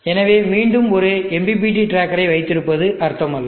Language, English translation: Tamil, So then again it is not meaningful to have MPPT tracker